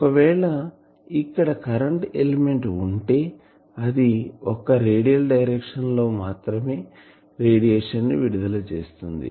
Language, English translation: Telugu, You have seen that if we have a current element here, the radiation is taking place only in radial direction